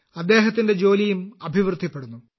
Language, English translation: Malayalam, His work is also progressing a lot